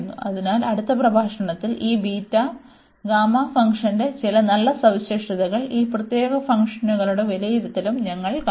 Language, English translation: Malayalam, So, in the next lecture, we will also see some nice properties of this beta and gamma function also the evaluation of these such special functions